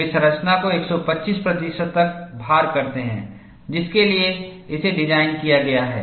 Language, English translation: Hindi, They load the structure up to 125 percent of the load, for which it is designed